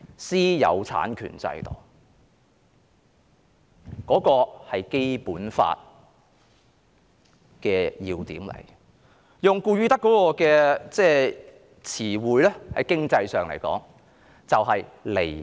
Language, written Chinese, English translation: Cantonese, 私有產權制度是《基本法》的要點。用顧汝德的詞彙，在經濟學上來說，便是離岸。, The system of private property rights is a salient point of the Basic Law and in the words of Leo GOODSTADT it is offshore in economics